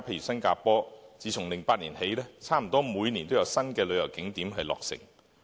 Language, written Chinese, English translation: Cantonese, 新加坡自2008年起，差不多每年都有新的旅遊景點落成。, Since 2008 Singapore has developed new tourist attractions almost every year